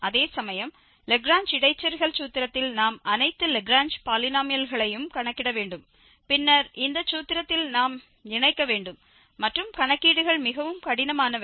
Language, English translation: Tamil, And whereas, in the Lagrange interpolation formula we have to compute all the Lagrange polynomials and then we have to combine in this formula and the calculations were really tedious